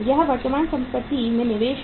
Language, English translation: Hindi, Investment in current assets